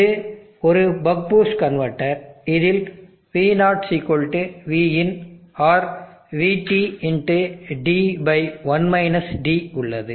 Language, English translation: Tamil, This is a buck boost converter which is having V0=Vin or VT(D/1 D)